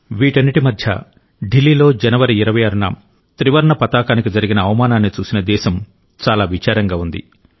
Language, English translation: Telugu, Amidst all this, the country was saddened by the insult to the Tricolor on the 26th of January in Delhi